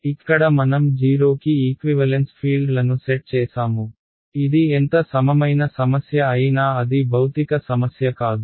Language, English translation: Telugu, Here what I do is I set the fields equal to 0 remember this is how equivalent problem it is not a physical problem